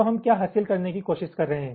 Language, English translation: Hindi, ok, so what we are trying to achieve